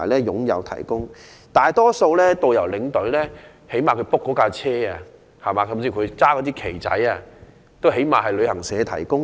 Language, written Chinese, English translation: Cantonese, 就大多數的導遊和領隊而言，他們所預約的旅遊巴士，甚至手持的旗幟也是由旅行社提供的。, For most of the tourist guides and tour escorts the coaches they booked or even the flags in their hands are provided by travel agents